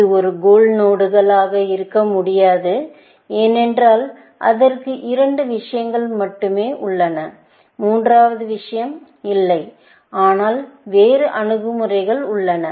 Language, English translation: Tamil, This cannot be a goal node, because it has only two things; the third thing is not there, essentially, but there are other approaches